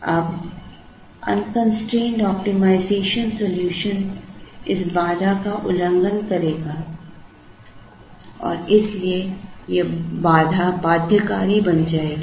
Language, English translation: Hindi, Now, the unconstrained optimization solution would violate this constraint and therefore, this constraint will become binding